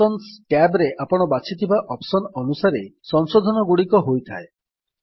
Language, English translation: Odia, The corrections are made according to the options you have selected in the Options tab.